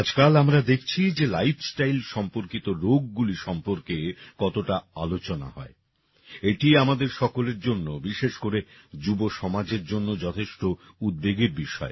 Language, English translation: Bengali, Nowadays we see how much talk there is about Lifestyle related Diseases, it is a matter of great concern for all of us, especially the youth